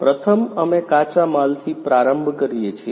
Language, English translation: Gujarati, Firstly, we start with raw materials